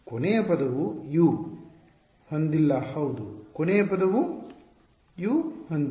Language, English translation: Kannada, The last term does not have a U yeah the last term does not have a U